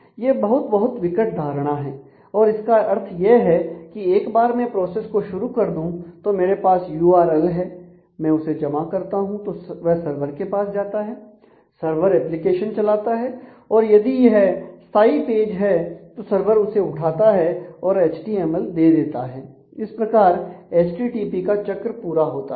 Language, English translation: Hindi, So, this is a very very critical concept and it means that once I start the process I have an URL; I submit that and that goes to the server the server runs an application or it is a static page server picks up and returns me that HTML; the http loop is closed